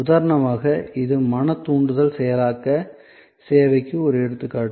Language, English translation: Tamil, So, for example, this is an example of mental stimulus processing service